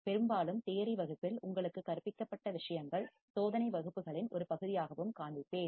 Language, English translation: Tamil, And mostly, the things that were taught to you in the theory class, I will also show also as a part of the experiment classes